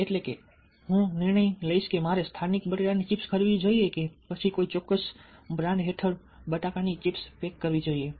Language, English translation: Gujarati, so the decision making or i would whether i should buy local potato chips or ah packed and marketed potato chips ok, on under a certain brand